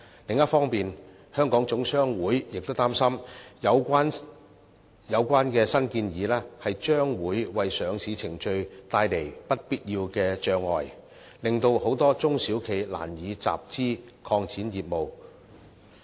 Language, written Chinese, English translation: Cantonese, 另一方面，香港總商會亦擔心有關新建議將會為上市程序帶來不必要的障礙，令很多中小企難以集資，拓展業務。, On the other hand HKGCC is also concerned that the new proposal will cause unnecessary hurdles in the listing process thus preventing SMEs from raising funds and developing business